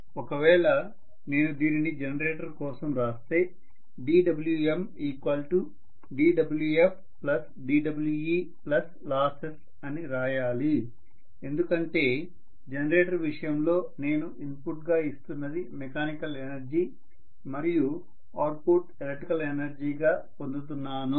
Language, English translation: Telugu, If I am writing this for the generator I have to write d W m is equal to d W f plus d W e plus losses because in the case of generator what I am giving as the input is mechanical energy and what I am getting as the output is electrical energy